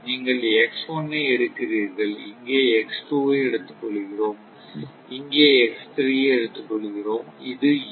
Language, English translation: Tamil, You are taking X1 and here, this one, we are taking X2 and here, we are taking X3 and this was actually U